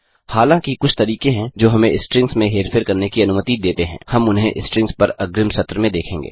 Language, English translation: Hindi, Although there are some methods which let us manipulate strings, we will look at them in the advanced session on strings